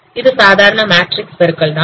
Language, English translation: Tamil, So it is just a matrix multiplication that is the model here